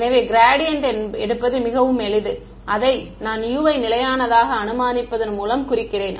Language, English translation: Tamil, So, to take gradient is very simple that is what I mean by assuming U constant